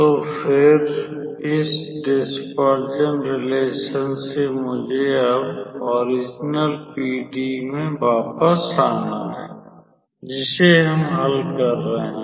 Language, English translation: Hindi, So, we can consider that the dispersion relation is the transformed version of the original PDE we are trying to solve